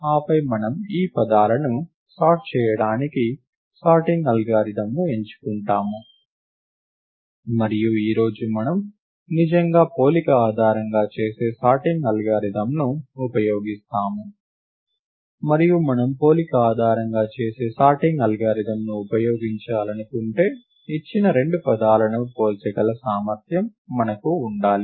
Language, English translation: Telugu, we will indeed use a comparison based sorting algorithm today, and it is important that if we use a comparison based sorting algorithm, then we should have the ability to compare two given words